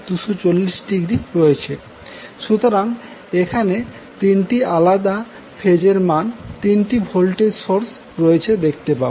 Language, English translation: Bengali, So, basically here you will see that the 3 sources are having 3 different phase value